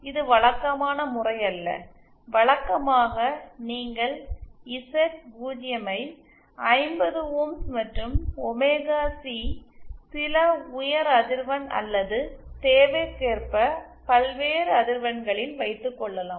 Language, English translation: Tamil, Now, this is not the usual case, usually you will have Z0 as 50 ohms and omega C at some high frequency or various frequencies according to the requirement